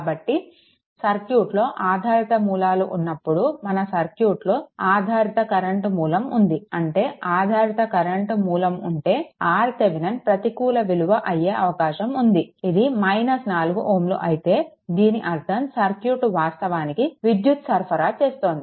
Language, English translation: Telugu, So, if dependent sources are there in the circuit right, there it was a one your current dependent current source was there, if dependent current source is there, then there is a possibility that R Thevenin may become minus 4 that means, circuit actually supplying the power this is the meaning right